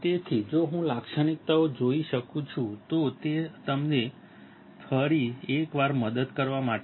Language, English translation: Gujarati, So, if I see the characteristics, it is just to help you out once again